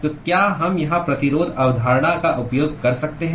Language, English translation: Hindi, So, can we use resistance concept here